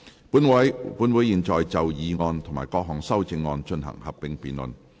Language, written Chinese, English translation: Cantonese, 本會現在就議案及各項修正案進行合併辯論。, This Council will now proceed to a joint debate on the motion and the amendments